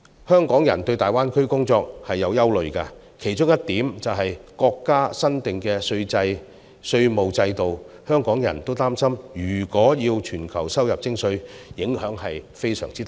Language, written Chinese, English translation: Cantonese, 香港人對在大灣區工作存有憂慮，其中一點是國家新訂的稅務制度，香港人擔心如果要全球收入徵稅，影響將會非常大。, However Hong Kong people have concerns about working in the Greater Bay Area . One of the concerns is the new tax regime instituted in the Mainland . Hong Kong people worry that if income tax is to be levied on a worldwide basis the impact will be very great